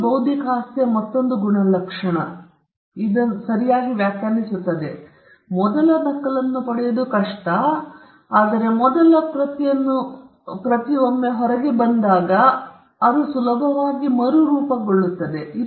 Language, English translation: Kannada, So, this defines yet another trait of intellectual property right it is difficult to get the first copy out, but once the first copy is out, it is easily replicable